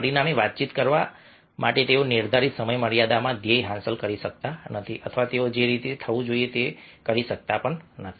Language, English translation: Gujarati, as a result, they cannot achieve the goal in the prescribed time frame or they cannot perform the way it should have been